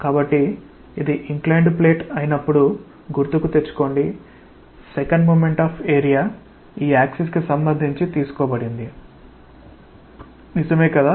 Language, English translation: Telugu, So, try to recall that when this was the inclined plate, the second moment of area was taken with respect to this axis right